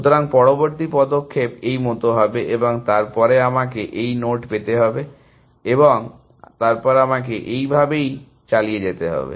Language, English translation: Bengali, So, the next move would be like this and then I would be in this node, and then I would continue like this